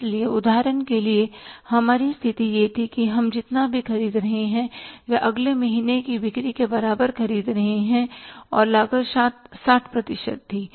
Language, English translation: Hindi, So, for example, our condition was that whatever we are purchasing we are purchasing equal to the next month sales and the cost was 60 percent